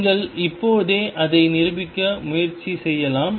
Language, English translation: Tamil, You can just right away you can also try to prove it